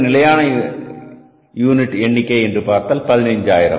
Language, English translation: Tamil, Again, the standard number of units are 15,000